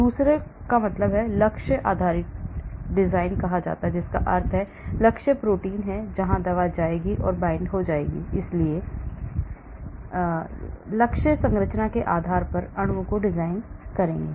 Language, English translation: Hindi, the other is called the target based design that means, I know target protein where the drug will go and bind, so I will design molecules based on the target structure